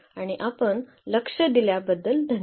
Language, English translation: Marathi, And thank you very much for your attention